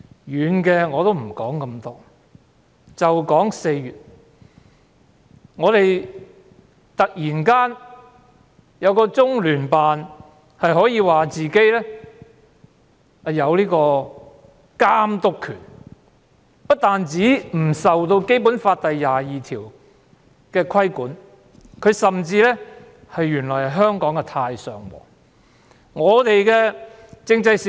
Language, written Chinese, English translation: Cantonese, 遠的我不多談，只談4月中央人民政府駐香港特別行政區聯絡辦公室突然自稱有監督權，不但不受《基本法》第二十二條的規管，甚至原來是香港的"太上皇"。, I will not talk about distant examples and will only focus on the incident that happened in April . In April the Liaison Office of the Central Peoples Government in the Hong Kong Special Administrative Region LOCPG suddenly claimed that it has overall jurisdiction over Hong Kong . Not only is it not governed by Article 22 of the Basic Law it has also surprisingly become the overlord in Hong Kong